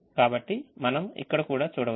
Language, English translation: Telugu, so that is also there that we can see in this